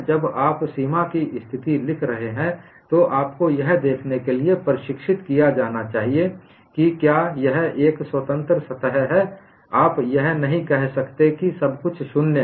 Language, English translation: Hindi, When you are writing the boundary condition, you would be trained to see if it is a free surface; you cannot say everything is 0 there